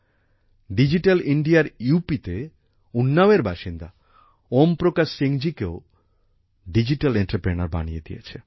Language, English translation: Bengali, Digital India has also turned Om Prakash Singh ji of Unnao, UP into a digital entrepreneur